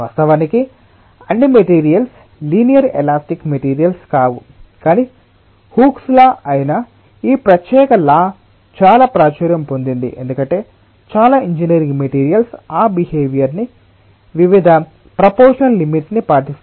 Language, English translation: Telugu, of course all materials are not linear elastic materials, but this particular law, which is the hookes law, is very popular one because many of the engineering materials will obey that behavior within proportional limits and many times in engineering we are working within those limits